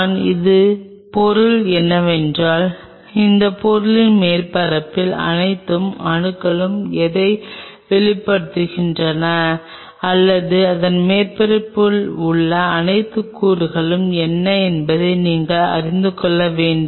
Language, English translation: Tamil, What I meant by that is you have to know that what all atoms are exposed on the surface of that material or what all elements are on the surface of it